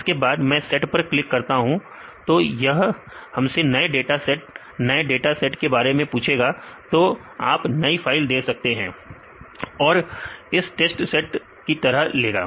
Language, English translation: Hindi, So, then I can click on the set; this will ask for the new dataset and from your computer terminal, you can give the new file or this will use that file as your test set